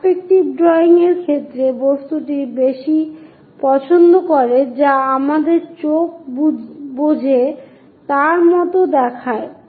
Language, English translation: Bengali, In the case of perspective drawing, the object more like it looks more like what our eyes perceive